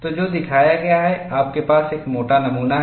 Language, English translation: Hindi, So, what is shown is, you have a thick specimen